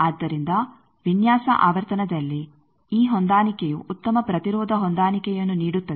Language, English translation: Kannada, So, at design frequency this match gives a good impedance match